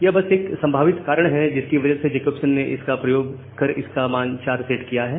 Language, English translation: Hindi, So, that is just a reason possibly Jacobson has utilized all this values and set this values set this particular